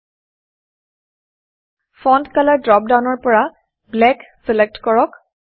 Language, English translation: Assamese, From the Font Color drop down, select Black